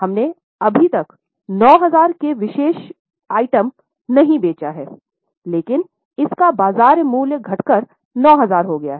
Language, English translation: Hindi, We have not yet sold the particular item at 9,000 but its market value has come down to 9,000